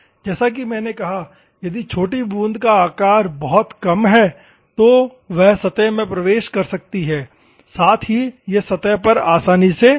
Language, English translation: Hindi, As I said if the droplet size is very less, it can enter it can penetrate at the same time, it can spread easily on the surface